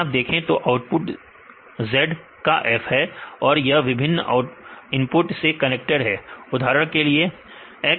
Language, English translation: Hindi, So, if see if you take the output is f of z right this is connected by different inputs for example, x, x2, x3